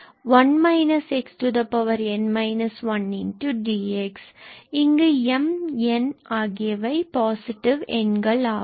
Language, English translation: Tamil, where m and n are both positive